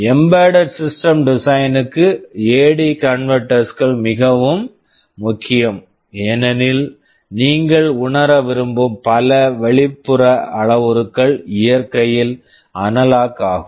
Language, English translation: Tamil, A/D converters are very important for embedded system design because many of the external parameters that you want to sense are analog in nature